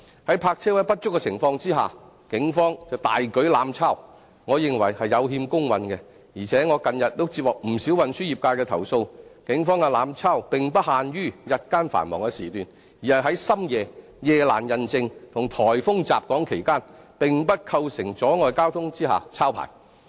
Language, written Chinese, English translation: Cantonese, 在泊車位不足的情況下，警方卻大舉"濫抄"，我認為是有欠公允，而且我近日也接獲不少運輸業界的投訴，警方的"濫抄"並不限於日間的繁忙時段，而是在深夜、夜闌人靜及颱風襲港期間，並不構成阻礙交通下抄牌。, But while we are in lack of parking spaces fixed penalty tickets are issued abusively by the Police which I think is not fair . Recently I have received not a few complaints from the transportation industry that the abusive issuance of fixed penalty tickets by the Police is not limited to rush hours during day time . It also happens in the middle of the quiet night and during typhoons when the vehicles concerned are not blocking any traffic at all